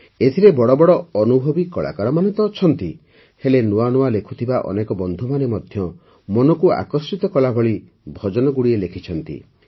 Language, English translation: Odia, There are many experienced artists in it and new emerging young artists have also composed heartwarming bhajans